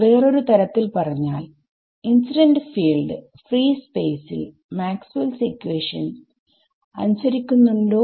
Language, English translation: Malayalam, So, another way of putting it is the incident field, does it obey Maxwell’s equations in free space, yes